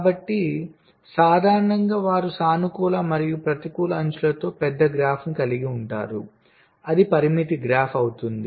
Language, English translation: Telugu, so in general they will be having a large graph with both positive and negative edges